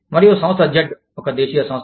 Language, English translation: Telugu, And, Firm Z is a domestic firm